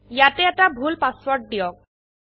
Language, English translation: Assamese, Let us enter a wrong password here